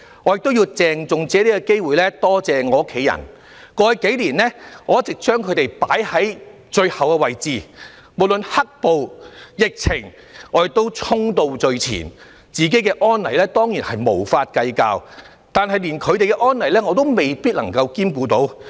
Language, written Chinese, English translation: Cantonese, 我亦要藉此機會，鄭重地感謝我的家人，在過去數年，我一直把他們放在最後的位置，無論"黑暴"、疫情，我都衝到最前，不計較自己的安危，但卻連他們的安危也未必顧及到。, I need also to take this opportunity to thank my family members . Over the past few years I have always put them at the bottom of my list . No matter during the black - clad violence or the epidemic I rushed to the front without caring about my own safety not even theirs